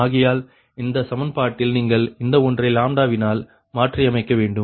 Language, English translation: Tamil, therefore, in this equation, therefore, in this equation, you this one, you replace it by lambda